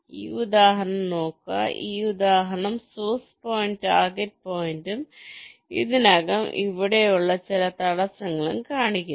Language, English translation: Malayalam, this example shows ah, source point, ah target point and some obstacles already there